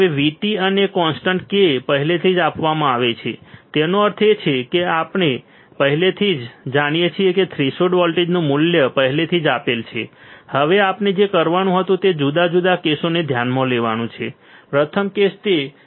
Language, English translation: Gujarati, Now, V T and constant k is already given; that means, that we already know what is value of threshold voltage is already there, now what we had to do is consider different cases right first case is that VGS is greater than V T